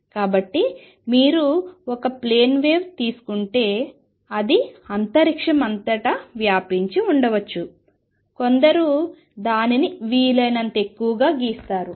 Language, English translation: Telugu, So, if you take a plane wave it may be spread all over space, some drawing it as much as possible